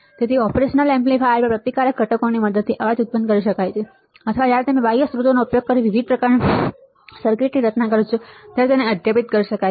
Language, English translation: Gujarati, So, the noise can be generated with the help by resistive components in the operational amplifier or it can be superimposed when you design the of different kind of circuit using external sources